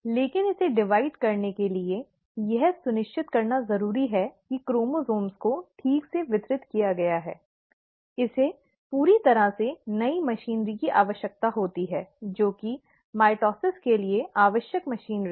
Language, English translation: Hindi, But, for it to divide, and it has to, for it to ensure that the chromosomes get properly distributed, It needs a whole lot of new machinery, which is the machinery required for mitosis